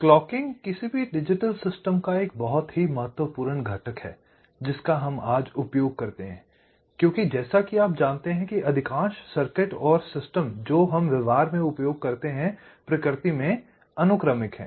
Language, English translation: Hindi, clock is a very important component of any digital systems that we use today because, as you know, most of the circuits and systems that we talk about that we use in practise are sequential in nature